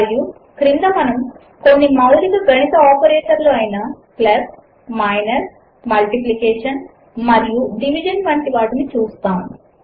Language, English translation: Telugu, And at the bottom, we see some basic mathematical operators such as plus, minus, multiplication and division